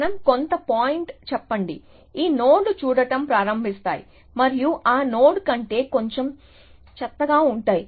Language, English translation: Telugu, Let us say some point, these nodes start looking and little bit worst than that node